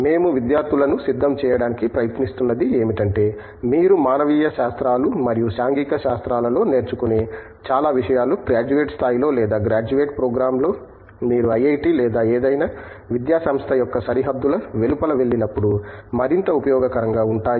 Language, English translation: Telugu, What we try to prepare students with is, most of the things that you learn in humanities and social sciences either at under graduate level or at a graduate program, are going to be more useful when you go outside the boundaries of IIT or any academic institution for that matter